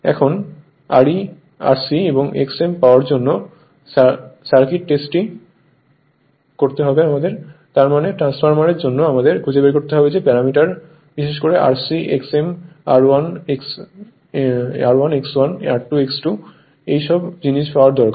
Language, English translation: Bengali, Now, Open Circuit Test to obtain R c and X m; that means, for the transformer, we have to find out the your what you call the parameter right particularly R c, X m, R 1, X 1, R 2, X 2; all these things you need to obtained